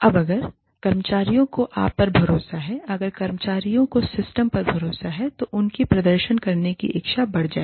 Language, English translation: Hindi, Now, if the employees trust you, if the employees have faith in the system, their motivation, their willingness to perform, will go up